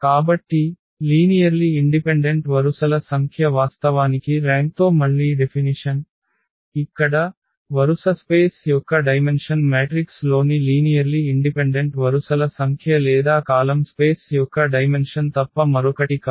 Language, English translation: Telugu, So, the number of linearly independent rows which is actually the definition of again with the rank; so here, the dimension of the row space is nothing but the number of linearly independent rows in the matrix or the dimension of the column space